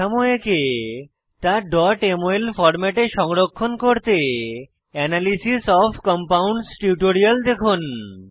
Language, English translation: Bengali, To draw structures and save in .mol format, refer to Analysis of Compounds tutorial